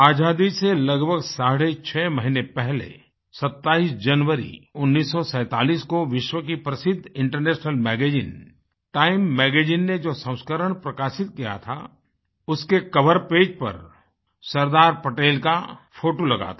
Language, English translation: Hindi, Six months or so before Independence, on the 27th of January, 1947, the world famous international Magazine 'Time' had a photograph of Sardar Patel on the cover page of that edition